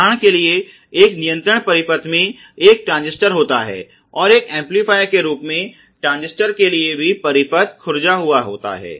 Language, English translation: Hindi, For example, in a control circuit having a transistor and also the circuit is indented for transistor as an amplifier